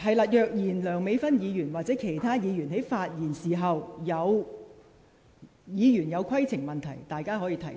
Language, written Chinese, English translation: Cantonese, 在梁美芬議員或其他議員發言時，議員如有規程問題，屆時可以提出。, When Dr Priscilla LEUNG or another Member is speaking if a Member has a point of order he can raise it at that time